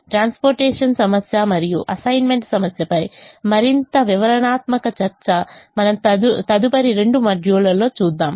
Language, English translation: Telugu, more detailed discussion on transportation problem and assignment problem we will see in the next two modules